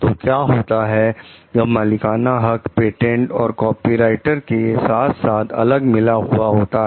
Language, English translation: Hindi, So, what happens like the proprietary rights embodied in patents and copyrights work differently